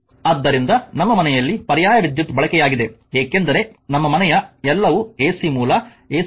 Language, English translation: Kannada, So, alternating current is use in our house hold the because all our household everything is ac source, ac power right